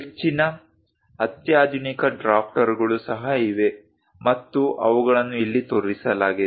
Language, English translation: Kannada, Most sophisticated drafters are also there, and those are shown here